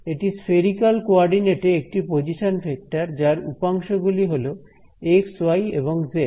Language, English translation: Bengali, This is nothing but the position vector in spherical coordinates x y z those are the component